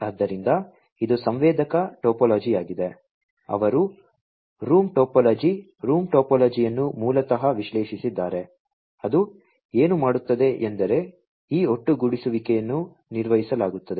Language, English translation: Kannada, So, this is the sensor topology, they have also analyzed the room topology, room topology basically, what it does is that the topic level this aggregation is performed